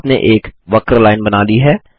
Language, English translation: Hindi, You have drawn a curved line